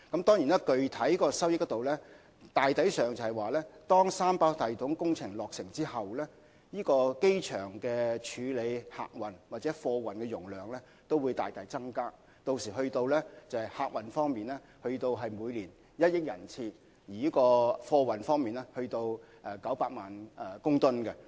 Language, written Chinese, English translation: Cantonese, 當然，具體收益方面，當三跑道系統工程落成後，機場處理客運或貨運的容量將大大增加，屆時客運量將會增加至每年1億人次，而貨運量亦會增加至900萬公噸。, As regards the real benefits one thing for sure after the completion of the 3RS project the cargo throughput and passenger volume that the airport will be capable of handling will increase substantially . By that time the number of passengers passing through the airport will increase to 100 million and cargo throughput will reach 9 million tonnes per annum